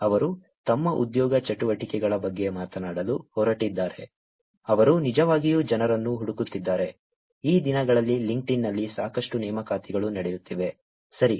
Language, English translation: Kannada, They are going to talk about their job activities, they are actually looking for people, there lot of recruitments that goes on on LinkedIn these days, right